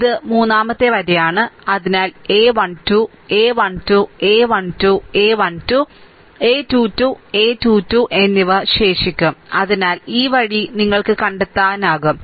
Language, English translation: Malayalam, This is the third row ah so, a 1 2, a 1 3 and a 1 2, a 1 3 and a 2 2, a 2 3 will be remaining, right